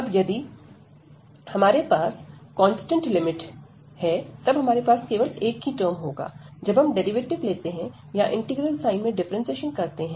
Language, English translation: Hindi, So, if we have the constant limits, we will have only the one term, when we take the derivative or we differentiate under integral sign